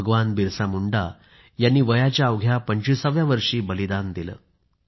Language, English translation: Marathi, BhagwanBirsaMunda sacrificed his life at the tender age of twenty five